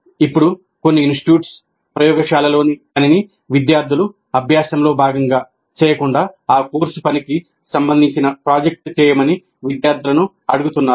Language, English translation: Telugu, Now some institutes, instead of making the laboratory work as a part of the practice by the students are asking the students to do a project related to that course work